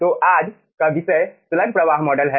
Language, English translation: Hindi, so todays topic is slug flow model